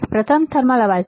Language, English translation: Gujarati, The first noise is thermal noise